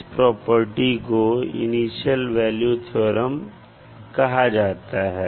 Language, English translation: Hindi, So this particular property is known as the initial value theorem